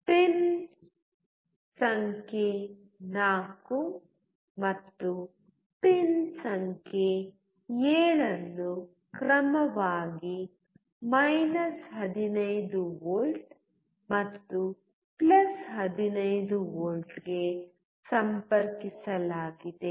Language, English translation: Kannada, Pin number 4 and pin number 7 are connected to 15V and +15V respectively